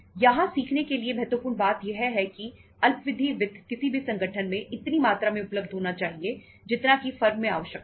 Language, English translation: Hindi, The important point to learn here is that the short term finance should be available in any business organization in the quantity in the amount as much it is required in the firm